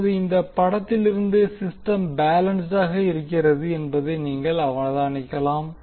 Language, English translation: Tamil, Now from this figure, you can observe that the system is balanced